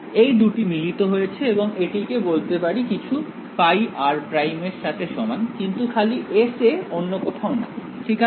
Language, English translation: Bengali, So, these two have been condensed into I can call it equal to some phi r prime, but only on S not anywhere else right